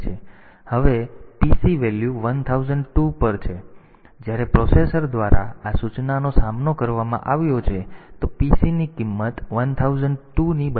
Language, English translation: Gujarati, Now after that the PC value becomes 1002; now from; so, after when this instruction has been faced by the processor; so, the PC value is equal to 1002